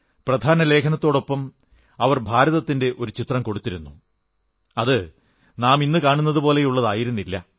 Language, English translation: Malayalam, In their lead story, they had depicted a map of India; it was nowhere close to what the map looks like now